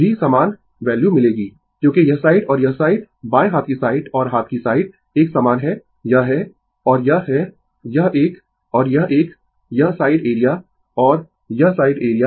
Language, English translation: Hindi, Also, you will get the same value because this side and this side left hand side and right hand side are the same this is and this is this one and this one this side area and this side area